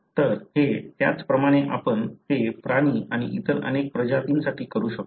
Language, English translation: Marathi, So, these are, likewise we can do it for animals and many other species